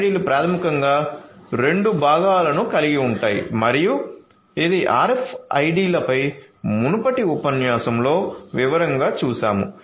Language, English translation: Telugu, So, RFIDs basically will have two components and this is something that we have looked at in a previous lecture on RFIDs in detail